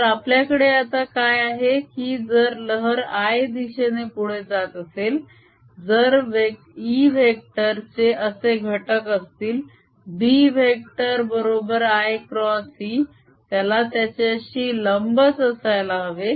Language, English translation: Marathi, so what we have now is that if the wave is propagating in the i direction, if e vector has components like this, the b vector has to be i cross e